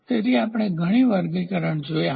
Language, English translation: Gujarati, So, we have seen lot of classification